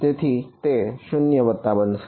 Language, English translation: Gujarati, So, it will be 0 plus